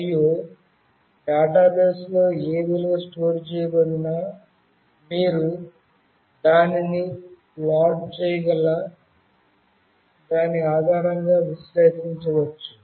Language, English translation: Telugu, And whatever value is stored in the database, you can actually analyze it based on that you can plot that as well